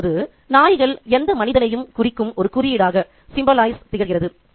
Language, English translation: Tamil, Now, dogs can symbolize any human being